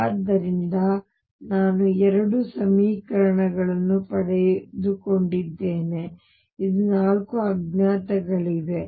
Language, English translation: Kannada, So, I have gotten two equations, still there are four unknowns